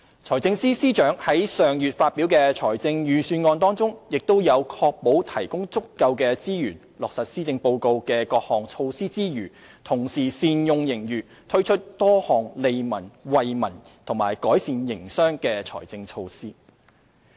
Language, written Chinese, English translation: Cantonese, 財政司司長在上月發表的財政預算案中，亦在確保提供足夠資源落實施政報告的各項措施之餘，同時善用盈餘，推出多項利民惠民及改善營商的財政措施。, In the Budget announced last month the Financial Secretary ensured that adequate resources would be provided for the implementation of various measures proposed in the Policy Address and that the surplus would be used properly to introduce additional financial measures benefiting the public and enhancing the business environment